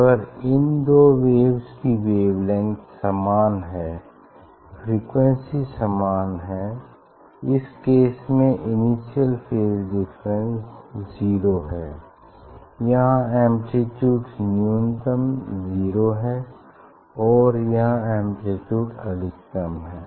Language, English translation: Hindi, if you just like these two waves they are wavelength are same, frequency is same; in this case their initial phase difference is 0 and other case you can see ok; here this is it is a amplitude is minimum 0 and here amplitude is maximum